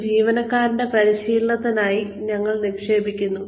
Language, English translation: Malayalam, We invest in the training of an employee